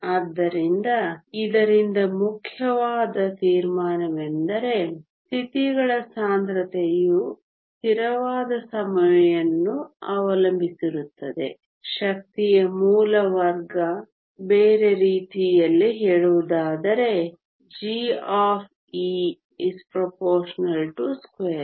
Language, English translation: Kannada, So, important conclusion from this is that the density of states depends on a constant time the square root of energy, other words g of e is proportional to the square root of the energy